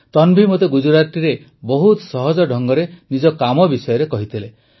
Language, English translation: Odia, Tanvi told me about her work very simply in Gujarati